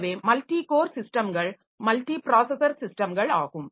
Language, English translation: Tamil, Then there are two types of multiprocessors